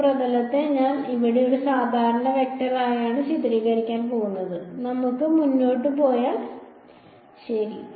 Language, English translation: Malayalam, Also this surface I am going to characterize by a normal vector over here I will need that alright should we go ahead ok